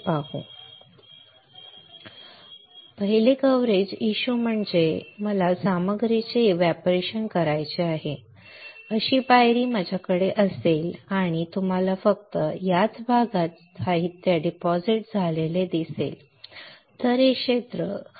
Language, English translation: Marathi, Step Coverages issue means, if I have the step on which I want to evaporate the material and you will see only in this area the material is deposited, this area cannot get deposited